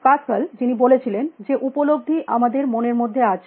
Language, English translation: Bengali, Pascal who said that perception is in our minds